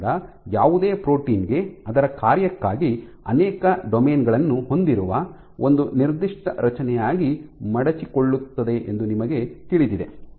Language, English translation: Kannada, So, you know for any protein which has multiple domains for its function it folds into one particular structure